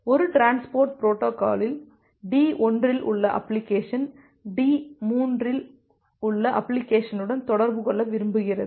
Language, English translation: Tamil, Now it may happen that in a transport protocol that application at D1, so application at D1 wants to make communicate with application 2 at D3